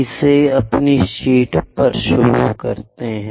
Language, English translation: Hindi, Let us begin it on our sheet